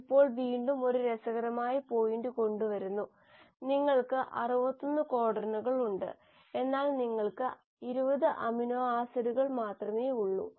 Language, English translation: Malayalam, Now that is, again brings one interesting point; you have 61 codons, but you have only 20 amino acids